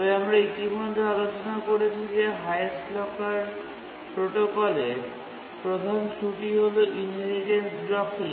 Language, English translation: Bengali, But as we have already discussed that the major shortcoming of the highest locker protocol is the inheritance blocking